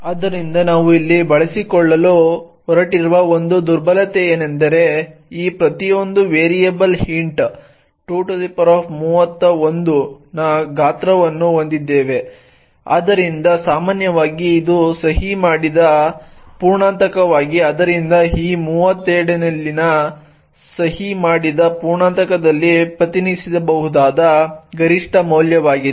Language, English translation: Kannada, So the one vulnerability that we are actually going to exploit here is that each of these variables int has a size of 2^31, so typically this is a signed integer so the maximum value that can be represented in the signed integer on this 32 bit machine is 2^31 minus 1